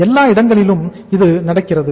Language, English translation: Tamil, Everywhere it happens